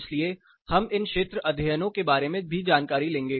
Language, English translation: Hindi, So, we will take a look at how to go about these field studies